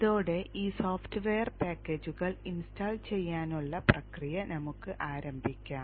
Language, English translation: Malayalam, So these three set of software packages we need to install